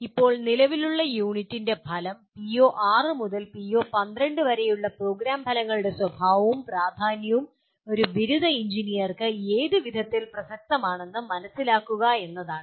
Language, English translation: Malayalam, Now the present unit, the outcome is to understand the nature and importance of program outcomes starting from PO6 to PO12 in what way they are relevant to a graduating engineer